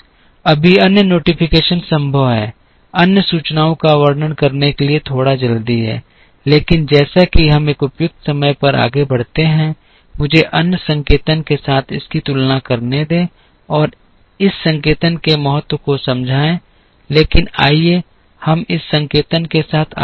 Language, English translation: Hindi, There are other notations possible right now it is a bit too early to describe other notations, but as we move along at a suitable time, let me compare this with other notations and explain the significance of this notation, but let us proceed with this notation